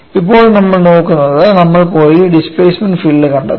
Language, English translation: Malayalam, Now, what we will look at is, we will go and find out the displacement field